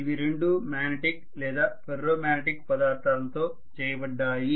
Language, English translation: Telugu, There are two pieces, both of them are made up of say magnetic or Ferro magnetic material